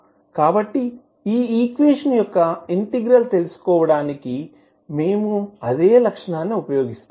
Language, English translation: Telugu, So the same property we will use for finding out the integral of this particular equation